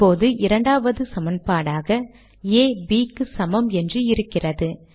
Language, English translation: Tamil, Now I have A equals B as the second equation